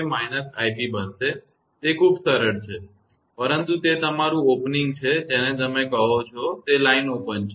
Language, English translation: Gujarati, Therefore, i f will become minus i b; it is very very simple one that, but it is opening your what you call that is line is open